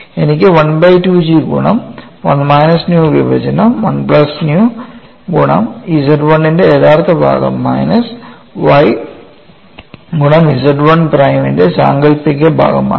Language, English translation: Malayalam, So, what you have here is dou u by dou x equal to 1 by 2 times G of 1 minus nu divide by 1 plus nu multiplied by real part of Z 1 minus y imaginary part of Z 1 prime